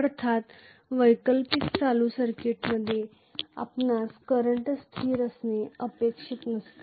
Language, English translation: Marathi, Obviously in an alternating current circuit you cannot expect the current will be constant